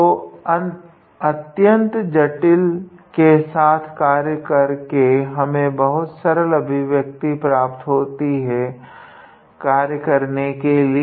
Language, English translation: Hindi, So, instead of working with this complicated one we will obtain a very simple expression to sort or to work with